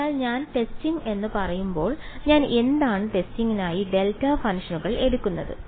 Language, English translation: Malayalam, So, when I say testing, what do I am taking delta functions for the testing